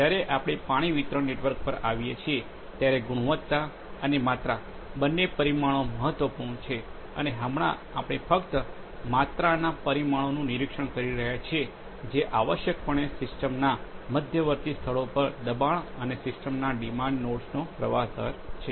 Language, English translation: Gujarati, When we come to a water distribution network, both quality and quantitative parameters are important and right now we are monitoring only the quantitative parameters which are essentially the pressure at intermediate locations of the system and the flow rate at the demand nodes of the system